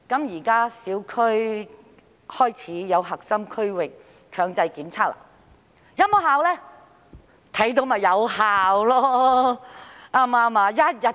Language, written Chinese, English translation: Cantonese, 現時小區開始推行核心區域強制檢測，是否有效用呢？, Am I right? . Now that compulsory testing arrangement for the core area of the specified area has been introduced . Is this effective?